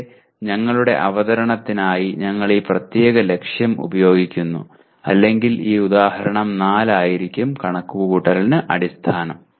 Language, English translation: Malayalam, So here for our presentation we are using this particular target or rather this example 4 will be the basis for computation